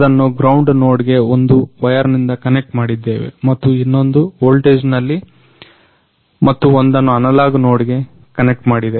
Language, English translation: Kannada, So, we have connected it through one wire on the ground node and other in the voltage and one is the n an analogue node